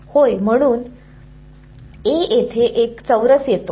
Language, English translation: Marathi, Yeah, that is why at this A square comes in